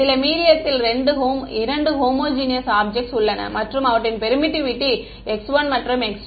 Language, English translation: Tamil, 2 homogeneous objects in some medium and their permittivity is x 1 and x 2